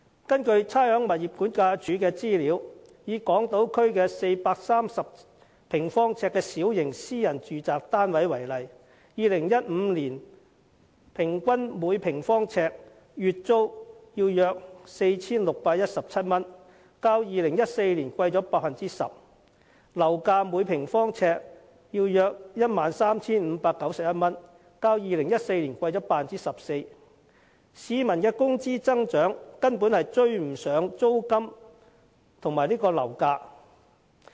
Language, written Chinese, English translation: Cantonese, 根據差餉物業估價署的資料，以港島區一個430平方呎的小型私人住宅單位為例 ，2015 年平均每平方呎的月租約為 4,617 元，較2014年上升 10%， 而樓價則是每平方呎約 13,591 元，較2014年上升 14%， 但市民的工資增長根本追不上租金和樓價的升幅。, According to the information of the Rating and Valuation Department the average monthly rent of a small private housing unit of 430 sq ft on Hong Kong Island for example was around 4,617 per square foot in 2015 which is 10 % higher than that of 2014 . Property price on the other hand was 13,591 per square foot which is 14 % higher than that of 2014 . Nonetheless peoples income has failed to catch up with the increase in rents and property prices